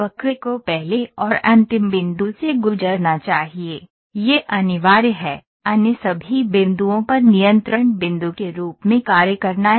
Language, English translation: Hindi, The curve must pass through first and last point, that is compulsory, with all the other points acting as a control points